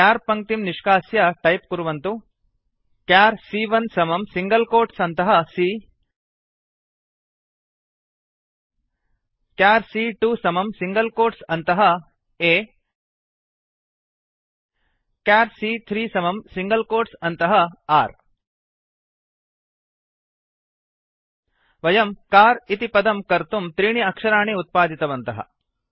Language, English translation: Sanskrit, Remove the char line and type: char c1 equal to in single quotes c char c2 equal to in single quotes a char c3 equal to in single quotes r We have created three characters to make the word car